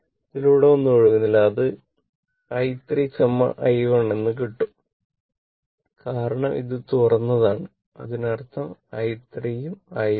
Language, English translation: Malayalam, Nothing is flowing through this and and this is open means, i 3 is equal to i 1